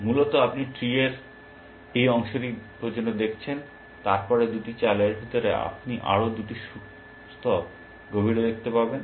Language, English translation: Bengali, Originally you have seen only till this part of the tree, and then after two moves, you can see two plies deeper